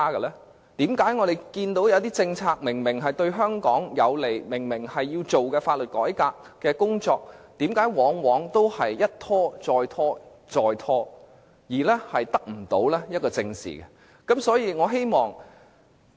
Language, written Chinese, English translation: Cantonese, 為何我們看到有些政策明顯對香港有利，以及一些必須進行的法律改革工作，卻往往一拖再拖，再三拖延，得不到正視呢？, We have seen some policies though being obviously conducive to Hong Kong as well as essential legal reform work are delayed repeatedly instead of being addressed squarely?